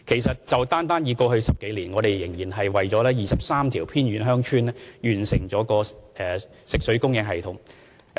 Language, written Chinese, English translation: Cantonese, 單在過去10多年，我們已為23條偏遠鄉村完成食水供應系統。, Just in the past 10 - odd years we have completed potable water supply systems for 23 remote villages